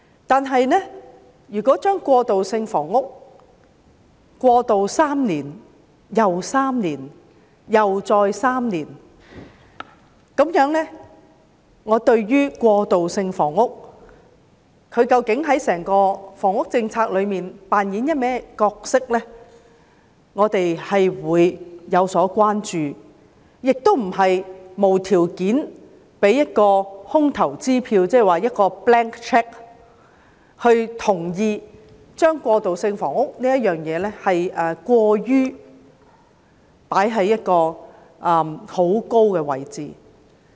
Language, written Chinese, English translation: Cantonese, 但是，如果把過渡性房屋延續3年又3年再3年，那麼對於過渡性房屋究竟在整個房屋政策中扮演甚麼角色，我們便有所關注，亦不能無條件地開出空頭支票，同意將過渡性房屋放在過高的位置。, However if we extend time and again the transitional housing policy for three years we will have concern over the role to be played by transitional housing in the overall housing policy . We also cannot draw a blank cheque unconditionally and agree to put transitional housing in too high a position